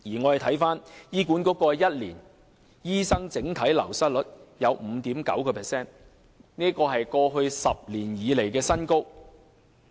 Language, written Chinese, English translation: Cantonese, 過去1年醫管局的醫生整體流失率有 5.9%， 是過去10年來的新高。, In the past year the overall wastage rate of doctors in HA is 5.9 % a record high over the past decade